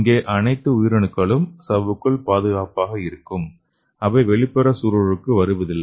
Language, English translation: Tamil, And you can see here all the cells are safe inside the membrane and there is no cells exposed to the outside